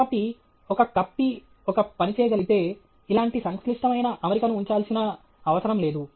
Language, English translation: Telugu, So, if a pulley can do a job, there is no need to put a complicated arrangement like this